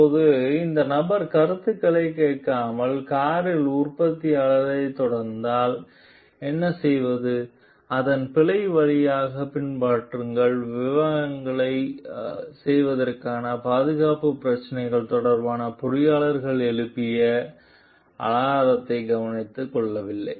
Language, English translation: Tamil, Now, what if the organization is not listening to this person views and continues with the production of the car; follow its old ways of doing things are not taking into consideration the alarm raised by the engineer regarding the safety issues